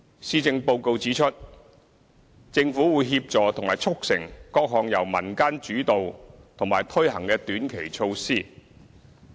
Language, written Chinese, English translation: Cantonese, 施政報告指出，政府會協助和促成各項由民間主導和推行的短期措施。, As indicated in the Policy Address the Government will facilitate the implementation of various short - term community initiatives